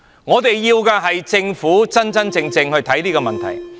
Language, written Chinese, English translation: Cantonese, 我們要的是政府真正看待這個問題。, We need the Government to face this issue genuinely